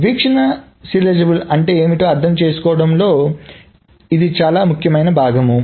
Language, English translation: Telugu, So that is a very important part of what to understand what view serializability is